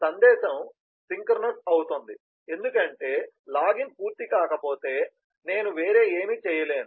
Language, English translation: Telugu, the message is synchronous because unless the login is completed, i cannot do anything else